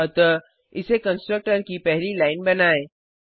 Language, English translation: Hindi, So make it the first line of the constructor